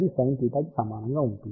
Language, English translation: Telugu, So, this will be now multiplied by sin theta